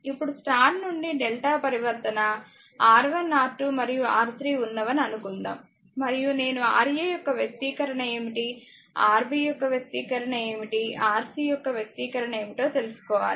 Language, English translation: Telugu, Now, start to delta if we suppose R 1, R 2, R 3 is there and star, I have to make what is the expression of Ra, what is the expression of Rb, what is the expression of Rc right